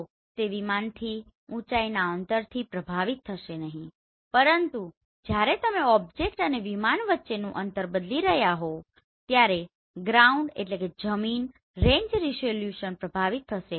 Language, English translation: Gujarati, So it will not get affected by the altitude distance from the aircraft, but ground range resolution will get affected when you are changing the distance between object and the aircraft